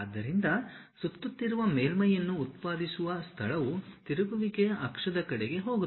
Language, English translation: Kannada, So, a revolved surface is generated space go about an axis of rotation